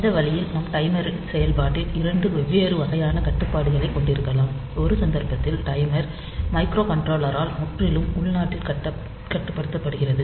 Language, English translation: Tamil, So, this way we can have 2 different type of controls in the operation of timer, in one case the timer is controlled totally internally by the microcontroller, and in the second case the timer is controlled both by the external event and the internal controller